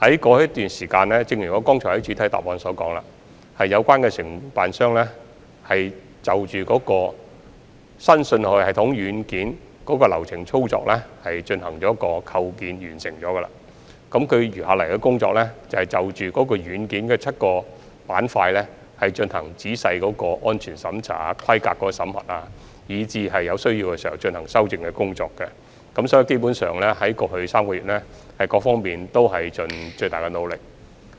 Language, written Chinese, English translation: Cantonese, 過去一段時間，正如我在主體答覆中表示，有關承辦商就新信號系統軟件流程操作進行的建構工作已經完成，餘下的工作是就軟件的7個板塊進行仔細的安全審查、規格審核，以及在有需要時進行修正工作，所以，在過去3個月，各方面基本上已盡了最大努力。, Over the period in the past as I stated in the main reply the Contractor has completed the development process and work instructions for the software of the new signaling system and the remaining work is to conduct comprehensive inspection specification examination and rectification work when necessary of the seven aspects . Hence all parties concerned have actually done their best in the past three months At the moment MTRCL has not yet submitted the report and I am not in a position to make speculation